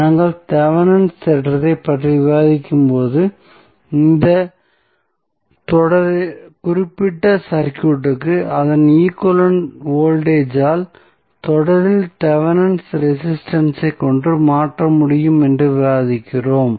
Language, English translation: Tamil, So, when we discuss the Thevenin's theorem we discuss that this particular circuit can be replaced by its equivalent voltage in series with Thevenin resistance